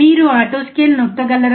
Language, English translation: Telugu, Can you press the auto scale